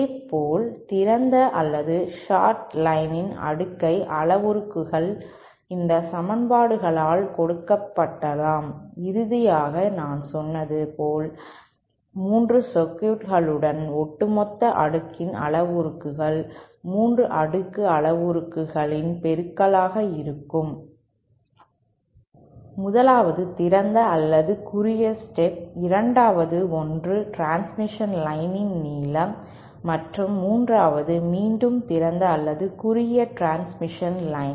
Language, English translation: Tamil, Similarly the cascade parameters of the open or shorted lines can be given by these equations and finally as I said, the overall cascade parameters will be the multiplications of the 3 cascade parameters of the 3 circuits, the 1st one being either an open or shorted stub, the 2nd one is a length of transmission line, and the 3rd one is again either an open or shorted transmission line